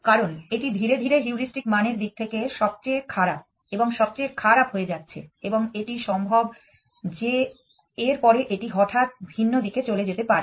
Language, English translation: Bengali, This is because this is my gradually become worst and worst in terms of heuristic value and is possible that after this doing this it suddenly goes off in the different direction